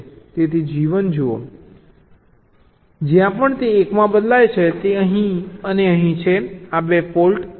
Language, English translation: Gujarati, so look at g one, c, wherever it changes to one, it is here and here, right, these two faults